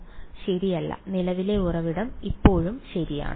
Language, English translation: Malayalam, No right the current source is still there ok